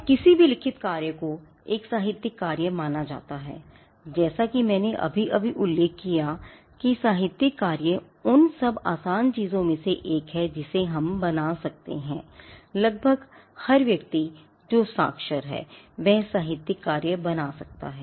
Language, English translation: Hindi, Now, any written work is construed as a literary work and literary work as I just mentioned is the one of the easiest things that we can create, almost every person who is literate can create a literary work